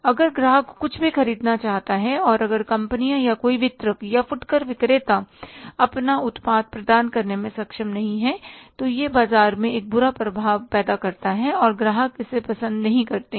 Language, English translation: Hindi, If anything, the customer wants to buy and if the companies or any distributor or retailer is not able to provide their product, then it creates a bad impression in the market and customers don't like it